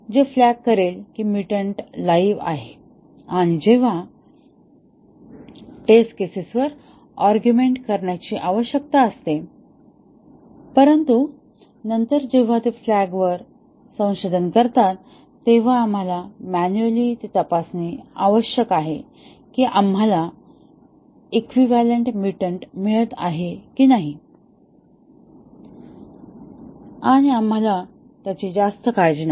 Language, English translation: Marathi, It will flag that the mutant is live and when need to argument the test cases, but then whenever they research a flag, we need to check manually whether we are getting a equivalent mutant and we do not worry